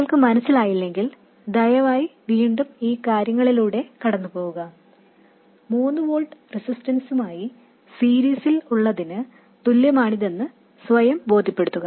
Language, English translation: Malayalam, If you are not convinced, please go through the chain of reasoning once again and convince yourselves that this is the same as having 3 volts in series with a resistance